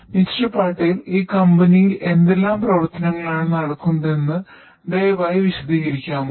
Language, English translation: Malayalam, Patel could you please explain what exactly you do in this company